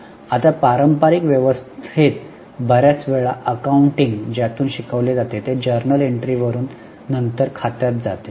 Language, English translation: Marathi, Now, many times in a traditional system, the accounting is taught from journal entries